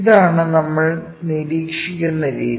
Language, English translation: Malayalam, This is the way we observe